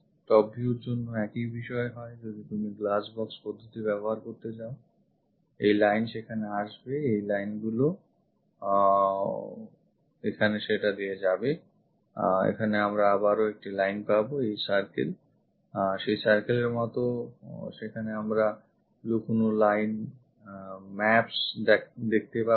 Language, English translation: Bengali, For the top view for the same case if you are going to use glass box method; this line comes there, these lines goes via that here there is here again we will see this there is a line, this circle whatever that circle as a hidden line maps there we will see there